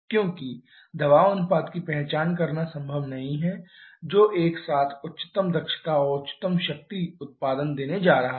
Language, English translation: Hindi, Because it is not possible to identify pressure ratio which is going to give simultaneously highest efficiency and highest power output